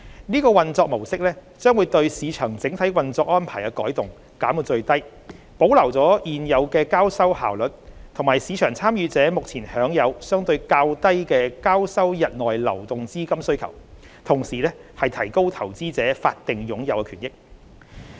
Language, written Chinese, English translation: Cantonese, 這個運作模式將對市場整體運作安排的改動減到最低，既保留了現有的交收效率，以及市場參與者目前享有相對較低的交收日內流動資金需求，同時亦提高投資者法定擁有權益。, Such operation mode entails minimal structural change to the overall operational arrangements in the market thus preserving the existing settlement efficiencies and the relatively low intraday liquidity needs that market participants currently enjoy as well as enhancing investors legal title to securities